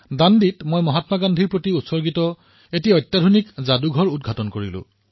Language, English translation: Assamese, There I'd inaugurated a state of the art museum dedicated to Mahatma Gandhi